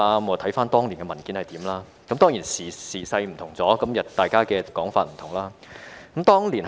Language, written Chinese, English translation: Cantonese, 回看當年的文件，我發覺時勢已有所不同，大家的說法也有分別。, After reading this old document I noticed that time has changed and different reasons have been put forth